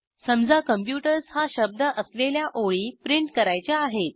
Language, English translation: Marathi, Say we want to print those lines which have the word computers